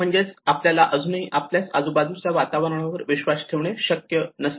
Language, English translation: Marathi, So which means we are even not able to trust our own surroundings